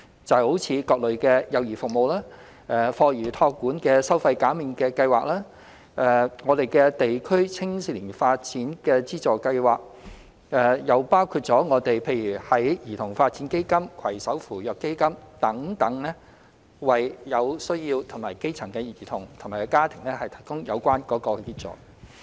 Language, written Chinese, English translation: Cantonese, 例如各類幼兒服務、課餘託管收費減免計劃、地區青少年發展資助計劃，也包括兒童發展基金、攜手扶弱基金等，為有需要的基層兒童和家庭提供有關協助。, For example the various child care services the Fee Waiving Subsidy Scheme for After School Care Programme the District Support Scheme for Children and Youth Development as well as the Child Development Fund and the Partnership Fund for the Disadvantaged all seek to provide the necessary assistance to grass - roots children and families in need